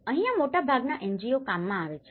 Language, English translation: Gujarati, This is where most of NGOs work